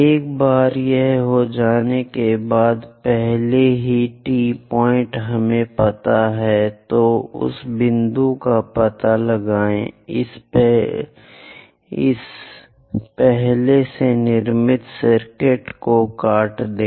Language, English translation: Hindi, Once it is done, already T point we know; so locate that point, intersect this already constructed circuit